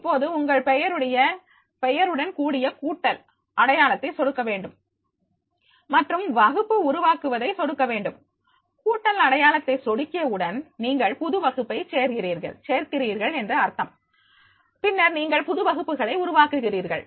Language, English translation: Tamil, ) Now click on the plus sign by your name and click create the class, and as a result of which as soon as you click addition sign, plus sign means that is the plus is there, it means that you are adding the new class and then you are creating a new classes when created